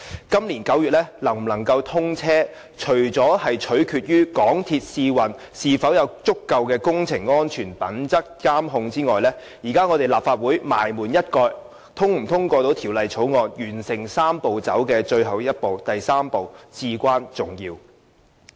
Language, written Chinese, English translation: Cantonese, 今年9月高鐵能否通車，除了取決於港鐵公司試運是否有足夠的工程安全品質監控外，立法會最後能否通過《條例草案》，完成"三步走"的最後一步，至關重要。, As regards whether XRL can be commissioned in September this year apart from depending on whether MTRCL can ensure sufficient project safety during the trial runs another vital factor is whether the Legislative Council can finally pass the Bill and complete the last step of the Three - step Process